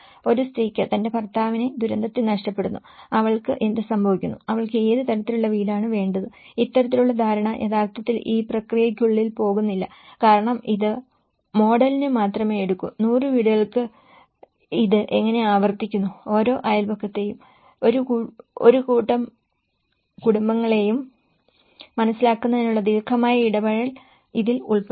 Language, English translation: Malayalam, A woman loses her husband in the disaster, what happens to her, what kind of house she needs you know, so this kind of understanding is not really goes within this process because itís only takes for the model and how it is repeated for 100 houses whereas here, this involves a longer run engagement to understand each neighbourhood, a group of families